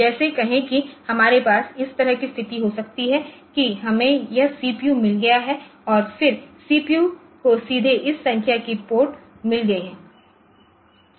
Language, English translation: Hindi, Like say we can have a situation like this that we have got this are the CPU and then the CPU directly has got this number of ports